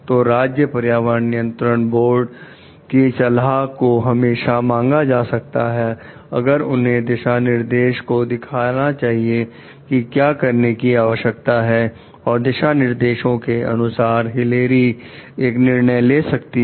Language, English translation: Hindi, So, the suggestions of the state environmental regulation board can always be sought for, if they want to find the guidelines like what requires to be done and given the guidelines Hilary may take or like a decision about it